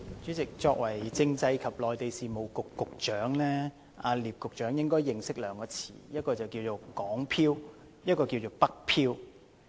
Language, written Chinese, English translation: Cantonese, 主席，作為政制及內地事務局局長，聶局長應該認識兩個詞語："港漂"和"北漂"。, President as the Secretary for Constitutional and Mainland Affairs Secretary Patrick NIP should know two terms Hong Kong drifters and northward drifters